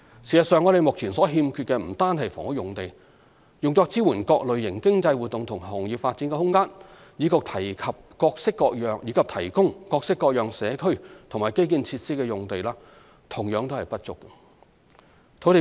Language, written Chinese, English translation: Cantonese, 事實上，我們目前所欠缺的不單是房屋用地，用作支援各類型經濟活動及行業發展的空間，以及提供各式各樣社區及基建設施的用地同樣不足。, In fact we currently lack not only housing sites but also space in support of various types of economic activities and the development of industries as well as sites for the provision of a variety of community and infrastructure facilities